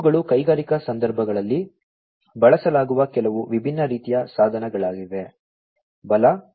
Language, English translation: Kannada, These are some of the different types of devices that are used in the industrial contexts, right, PLC, SCADA, HMI